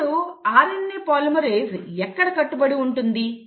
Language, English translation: Telugu, Now, where does a RNA polymerase bind